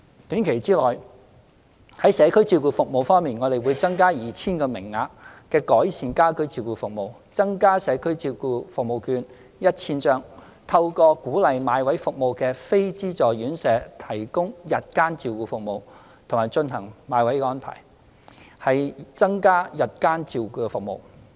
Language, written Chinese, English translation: Cantonese, 短期內，在社區照顧服務方面，我們會增加 2,000 個名額的改善家居照顧服務、增加社區照顧服務券 1,000 張、透過鼓勵買位服務的非資助院舍提供日間照顧服務，並進行買位的安排，以增加日間照顧服務。, In the short term in respect of community care services we will provide an additional 2 000 service quota under the Enhanced Home and Community Care Services and an additional 1 000 vouchers for community care services encourage the provision of day care services by self - financing residential care homes for the elderly which are providing services under the purchase of places arrangement and make arrangements to purchase places to increase day care services